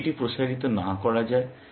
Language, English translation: Bengali, What if it cannot be expanded